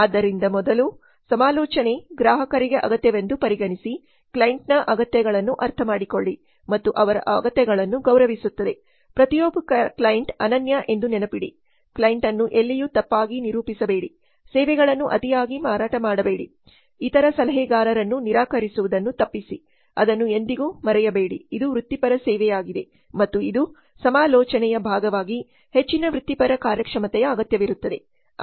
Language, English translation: Kannada, So first the consultant regards the client's needs, understand the needs of the client and respects their needs remember that every client is unique don't meet representation the client in anywhere do not oversell the services refrain from denigrating other consultants never forget that it is a professional service and it is a high professional performance is required as part of consulting